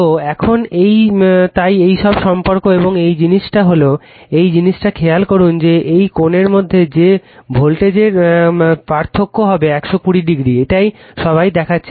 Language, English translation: Bengali, So, now so this is all this relationships and you one thing is this thing that note that your that angle between this what you call voltages, it will be difference should be 120 degree, this all we have seen right